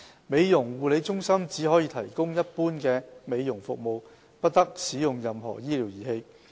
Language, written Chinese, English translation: Cantonese, 美容護理中心只可提供一般美容服務，不得使用任何醫療儀器。, Beauty parlours can only provide general beauty services without using any medical devices